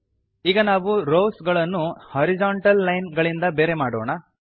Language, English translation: Kannada, We will now separate the rows with horizontal lines as follows